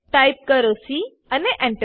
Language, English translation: Gujarati, Type b and press Enter